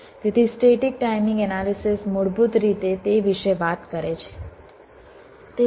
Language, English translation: Gujarati, so static timing analysis basically talks about that